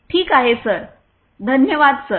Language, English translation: Marathi, Ok sir, thank you sir